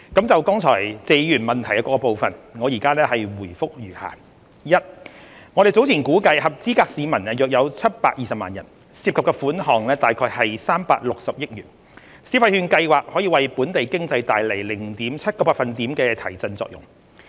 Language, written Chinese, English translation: Cantonese, 就謝議員質詢的各部分，我現答覆如下：一我們早前估計合資格市民約有720萬人，涉及款項約360億元，消費券計劃可為本地經濟帶來 0.7 個百分點的提振作用。, Regarding the different parts of the question raised by Mr TSE my responses are as follows 1 We have estimated earlier that there would be around 7.2 million eligible persons involving about 36 billion . It is expected that the Scheme would boost local economic growth by 0.7 % point